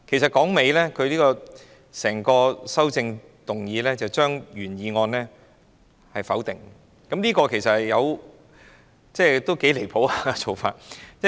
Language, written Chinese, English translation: Cantonese, 說到底，她的整項修正案是將原議案否定，這做法其實頗離譜。, All in all her entire amendment aims to negate the original motion . This approach has gone too far indeed